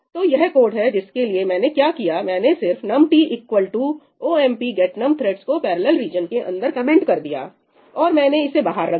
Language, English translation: Hindi, what have I done, I have just commented out that ënum t equal to ëomp get num threadsí inside the parallel region and I have put it outside